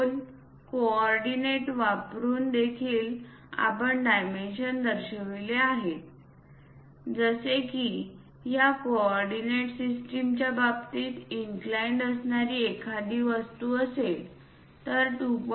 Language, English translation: Marathi, Using angles, coordinates also we have shown the dimensions, something like if there is an inclined object with respect to coordinate system this one 2